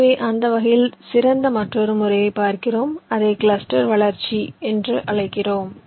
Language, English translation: Tamil, ok, so we look at another method which is better in that respect, and we call it cluster growth